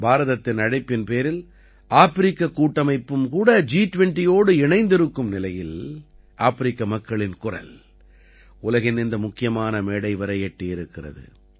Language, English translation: Tamil, The African Union also joined the G20 on India's invitation and the voice of the people of Africa reached this important platform of the world